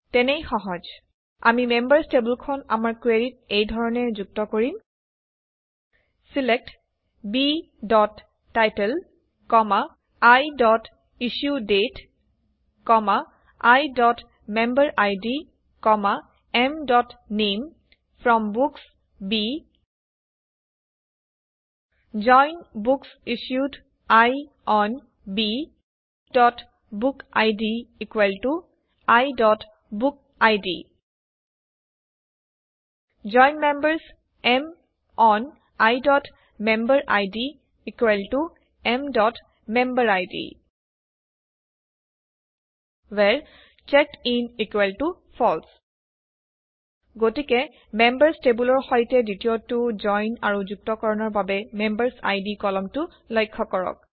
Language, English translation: Assamese, Simple we JOIN the members table to our query as follows: SELECT B.Title, I.IssueDate, I.MemberId, M.Name FROM Books B JOIN BooksIssued I ON B.BookId = I.BookId JOIN Members M ON I.MemberId = M.MemberId WHERE CheckedIn = FALSE So notice the second join with the Members table and the MemberId column used for joining